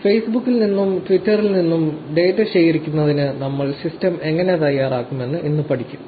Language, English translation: Malayalam, Today we will be learning how to prepare our system for collecting data from Facebook and Twitter